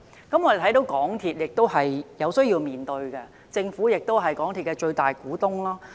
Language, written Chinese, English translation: Cantonese, 我們看到港鐵的壟斷問題便有需要面對，因政府是港鐵的最大股東。, Having spotted the problem of MTRCLs monopoly we ought to confront it as the Government is the biggest shareholder of MTRCL